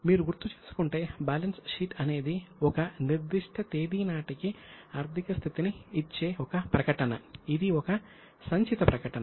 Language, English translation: Telugu, If you remember balance sheet is a statement which gives the financial position as on a particular date